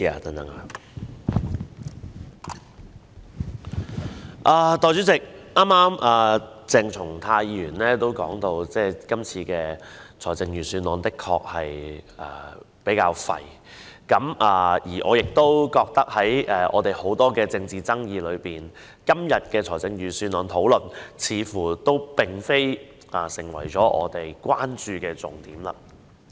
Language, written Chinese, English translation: Cantonese, 代理主席，剛才鄭松泰議員曾表示，這份財政預算案比較"廢"，而我也認為，在現今眾多的政治議題當中，大會今天討論的預算案，似乎並非我們關注的重點。, Deputy Chairman Dr CHENG Chung - tai has said just now that this years Budget the Budget is quite useless . In my opinion among the many political issues nowadays the Budget under discussion today does not seem to be the focus of our attention